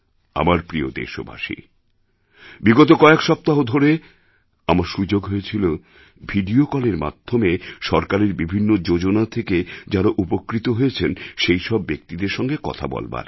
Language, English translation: Bengali, During the past few weeks, I had the opportunity to interact with the beneficiaries of different schemes of government through video call